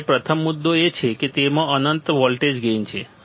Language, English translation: Gujarati, First point is it has infinite voltage gain; it has infinite voltage gain